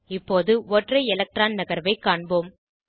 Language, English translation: Tamil, Now lets move to single electron shift